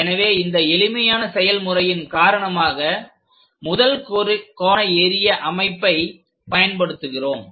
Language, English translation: Tamil, So, because of that easiness usually we go with first angle projection system